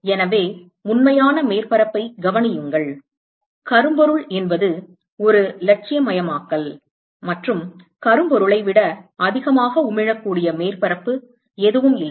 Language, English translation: Tamil, So, note that real surface; blackbody is an idealization and there is no surface which can emit more than blackbody, fine